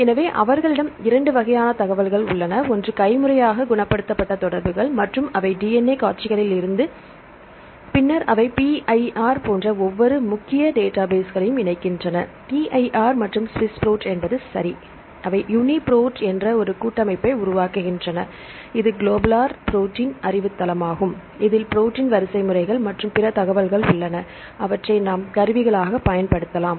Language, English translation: Tamil, So, they have 2 types of information; one is the manually curetted sequences and also they translated sequences from the DNA sequences, this is called the TrEMBL, later on they combine every both this major databases like PIR; PIR and SWISS PROT, right and they formed a consortium called the UniProt, right this is the universal protein knowledgebase which contains the information regarding protein sequences plus other information; what we can use as tools